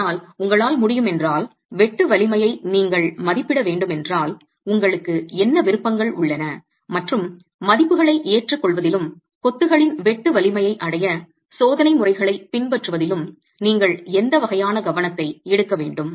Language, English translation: Tamil, But if you need to be able, if you need to estimate the shear strength of masonry, what options do you have and what kind of care should you take in adopting values and adopting test methods to arrive at the sheer strength of masonry